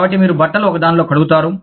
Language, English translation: Telugu, So, you would have cloths were washed in one